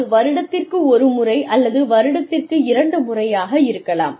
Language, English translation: Tamil, Maybe once a year or maybe twice a year